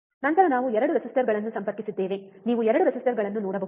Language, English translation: Kannada, Then we have connected 2 resistors, can you see 2 resistors